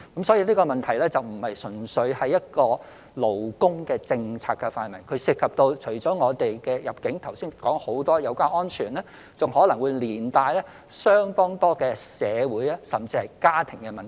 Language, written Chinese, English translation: Cantonese, 所以，這個問題並非純粹屬於勞工政策的範圍，它除了涉及我剛才所說有關入境及保安的問題，亦可能連帶相當多社會甚至家庭問題。, So this problem is not purely within the scope of labour policy . Apart from immigration and security considerations which I just mentioned it may also involve many social and family problems